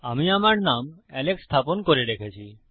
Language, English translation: Bengali, Ive got my name set to Alex